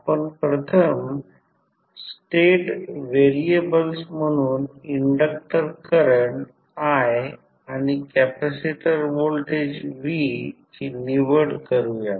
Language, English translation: Marathi, First step is that what we will select the inductor current i and capacitor voltage v as a state variable